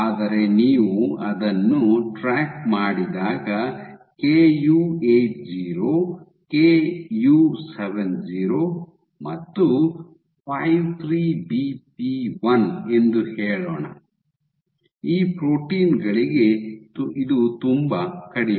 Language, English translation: Kannada, But when you track it when you track it for let see Ku80, Ku70 and 53BP1, for these proteins this is lot less